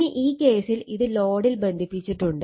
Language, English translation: Malayalam, Now, in this case it is connected to the load